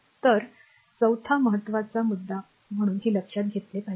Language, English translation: Marathi, So, the fourth one is very important right so, this should be in your mind